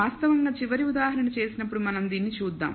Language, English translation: Telugu, So, let us actually when we do a final example we will see this